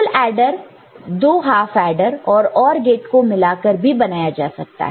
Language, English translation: Hindi, A full adder unit can be obtained by two half adders and one additional OR gate